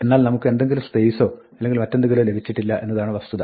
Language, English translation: Malayalam, But the fact is that, we did not get any space or anything else